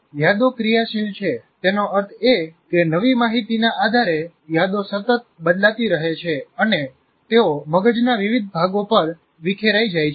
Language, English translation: Gujarati, And as I said already, memories are dynamic, that means they constantly change depending on the new information and they are dispersed over the various parts of the brain